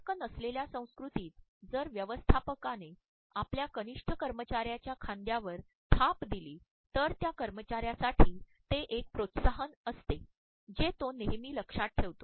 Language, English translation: Marathi, In a non contact culture if a manager gives a pat on the shoulder of a subordinate employee, for the employee it is an encouragement which would always be remembered